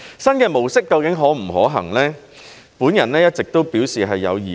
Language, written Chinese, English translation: Cantonese, 新的模式究竟可不可行，我一直都表示有疑慮。, I all along have doubts over the feasibility of this new mode of operation